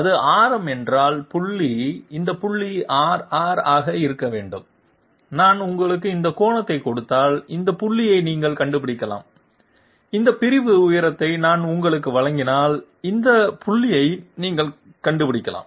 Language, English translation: Tamil, If this is radius, then this point must be r, r, if I give you this angle, you can find out this point, if I give you this segmental height, you can find out this point